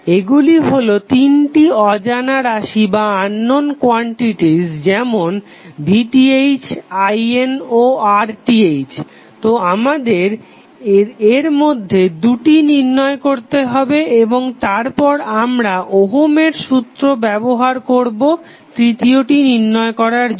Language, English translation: Bengali, These are the three unknown quantities like V Th, I N and R Th so we need to calculate two of them and then we use the ohms law to find out the third one